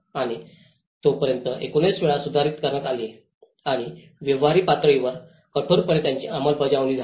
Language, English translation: Marathi, And it has been revised 19 times till then and it was hardly implemented in a practical level